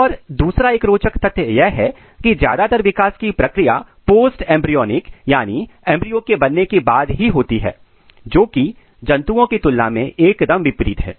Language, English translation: Hindi, And another very interesting thing is that the most of the development is post embryonic in nature, this is in contrast with the animals